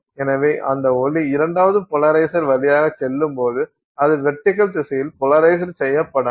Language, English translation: Tamil, So, then when that light goes to the second polarizer, it is not polarized in the vertical direction